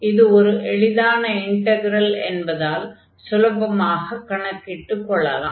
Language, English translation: Tamil, So, here this is the integral we want to compute now